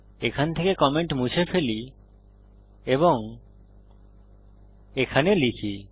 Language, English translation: Bengali, Delete the comment from here and put it here